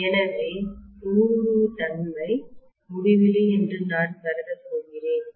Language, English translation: Tamil, So I am going to assume that the permeability is infinity